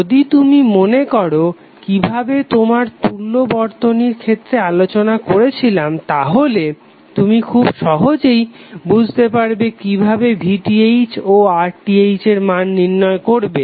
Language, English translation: Bengali, So if you recollect what we discussed in case of equaling circuit, you can easily figure out that how you will calculate VTh and RTh